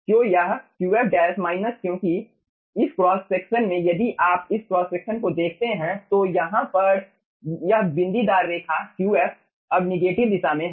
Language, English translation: Hindi, because in this cross section, if you see this cross section, this dotted line, here qf is in the now negative direction